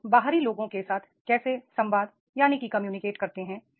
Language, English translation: Hindi, How do you communicate with the outsiders